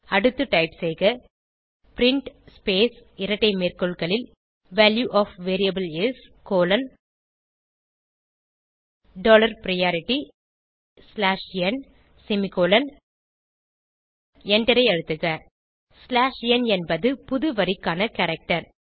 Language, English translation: Tamil, Next, type print space double quote Value of variable is: dollar priority slash n close double quote semicolon and press enter slash n is the new line character